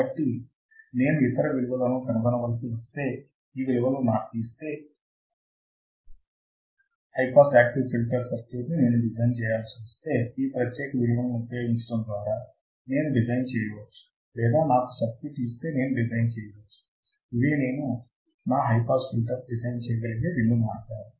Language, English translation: Telugu, So, if I am given these values if I had to find the other values, if I had to design the circuit that is my high pass active filter, I can design by using these particular values or if I am given a circuit I can design my pass filter both the ways I can do it